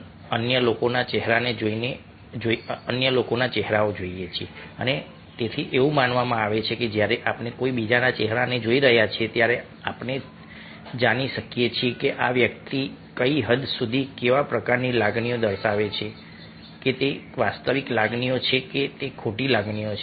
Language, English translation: Gujarati, hence it is assumed that when we looking at somebodys face, we should be able to know to what extent ah, what, what kind of emotion this person is displaying, whether they are genuine emotions or their false emotions